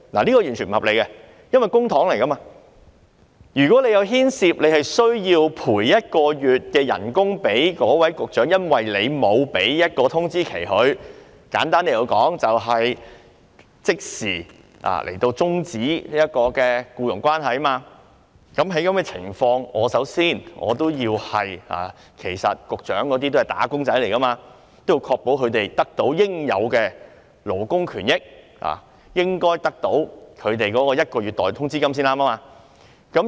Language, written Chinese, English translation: Cantonese, 這是完全不合理的，因為這些是公帑，如果政府因沒有給他們一個月通知期而要賠償一個月代通知金，簡單來說就是如果政府即時終止僱傭關係，在這種情況下，其實這些局長都是"打工仔"，故我認為要確保他們得到應有的勞工權益，因而應該得到一個月代通知金。, This is entirely unreasonable because this is public coffers . If the Government did not give them one months prior notice and should pay them one months salary in lieu of notice or put simply if the Government terminates their employment immediately as these Bureau Directors are also wage earners I think it is necessary to ensure that they can receive the employees benefits to which they are entitled and should hence be paid one months salary in lieu of notice